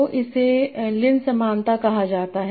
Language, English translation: Hindi, So this is called LC similarity